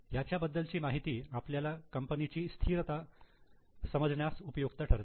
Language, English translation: Marathi, This information is useful to understand the stability of the company